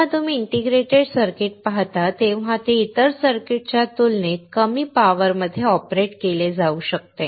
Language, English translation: Marathi, When you see an integrated circuit, it can be it can be operated at a way low power compared to the other circuits